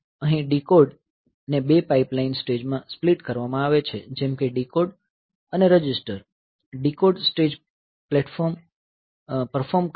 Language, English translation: Gujarati, Here the decode is a split into two pipeline stages as earlier to decode and register and decode stage performs